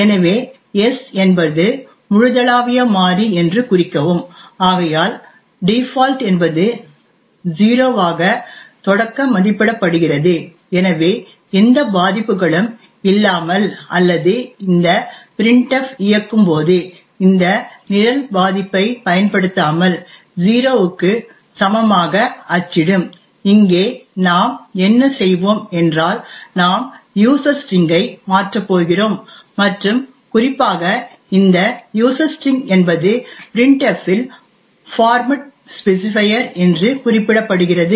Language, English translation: Tamil, So note that s is a global variable so therefore it by default would be initialized to 0 so without any vulnerabilities or without exploiting the vulnerability this program when this printf executes would print as to be equal to 0 here however what we will do is that we are going to change the user string and note that this user string is specified as a format specifier in printf